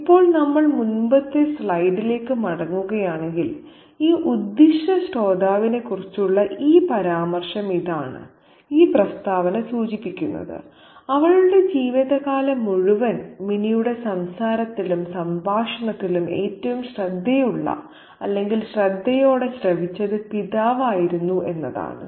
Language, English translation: Malayalam, Now, if we go back to the earlier slide where there is this reference to this intent listener, this statement suggests that so far in her life the father has been the most attentive or keen listener to the chatter, to the conversation of Minnie